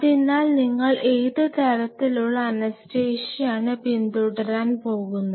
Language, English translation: Malayalam, So, in that case what kind of anesthesia you are going to follow